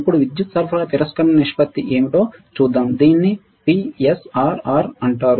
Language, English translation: Telugu, Now, let us see what is power supply rejection ratio, it is called PSRR